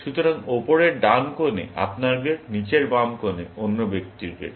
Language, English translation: Bengali, The bottom left corner is the other person’s grade